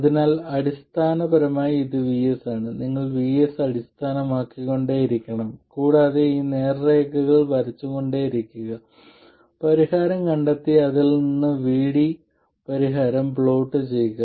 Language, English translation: Malayalam, So essentially this is VS, you have to keep varying VS and keep drawing these straight lines, find the solution and plot the solution VD from that one